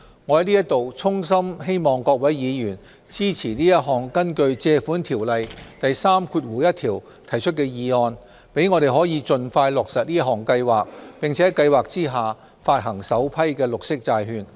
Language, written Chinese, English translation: Cantonese, 我在此衷心希望各位議員支持這項根據《借款條例》第31條提出的議案，讓我們可以盡快落實這項計劃，並在計劃下發行首批綠色債券。, Here I earnestly call on Members to support this Resolution moved under section 31 of the Loans Ordinance so that we can launch the Programme and issue an inaugural government green bond as soon as possible